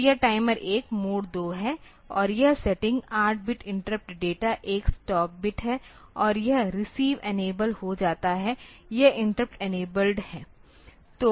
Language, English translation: Hindi, So, this timer 1 MOD 2 and this setting is 8 bit interrupt data, 1 stop bit and this receive enable, this interrupt is enabled